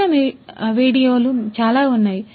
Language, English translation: Telugu, lot of different videos exist